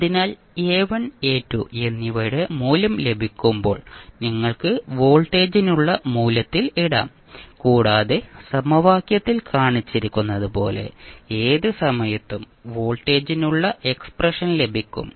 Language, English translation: Malayalam, So when you get the value of A1 and A2 you can put the values in the value for voltage at any time t and you get the expression for voltage at any time t, as shown in the equation